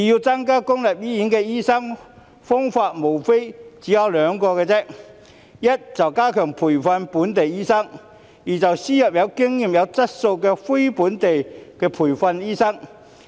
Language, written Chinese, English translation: Cantonese, 增加公立醫院的醫生人數，方法無非兩個：第一，加強培訓本地醫生；第二，輸入有經驗及有質素的非本地培訓醫生。, There are only two ways to increase the number of doctors in public hospitals first enhance the training of local doctors; second import experienced and quality non - locally trained doctors